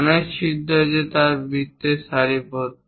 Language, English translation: Bengali, There are many holes they are aligned in circles